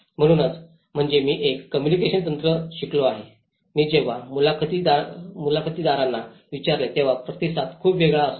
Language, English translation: Marathi, So, which means is a communication techniques which I have learnt also, when I asked interviewers in the land the response is very different